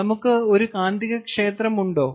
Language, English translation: Malayalam, and do we have a magnetic field